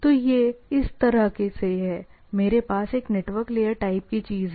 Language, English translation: Hindi, So, this is this way, I have a network layer type of things